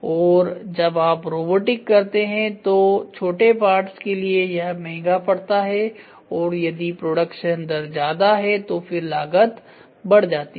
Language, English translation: Hindi, And when you try to do robotic if it is small parts it is going to be expensive and if the production rate is high then the cost is once again going to go high